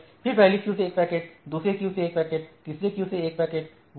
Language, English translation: Hindi, Then one packet from the first queue, one packet from the second queue, one packet from the third queue